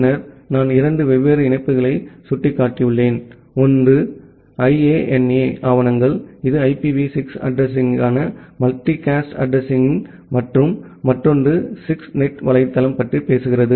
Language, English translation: Tamil, And then I have pointed two different links, one is the IANA documentation; that talks about the IPv6 addresses, multicast addresses and another is the 6NET website